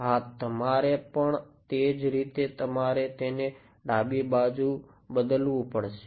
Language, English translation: Gujarati, Yeah you similarly you have to change it for the left